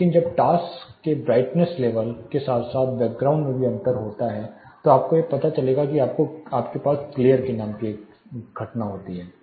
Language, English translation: Hindi, So, when there is a difference between the brightness level of the task as well asthe background then you will you know result in phenomena called glare